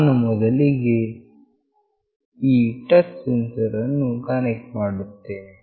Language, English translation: Kannada, I will be first connecting this touch sensor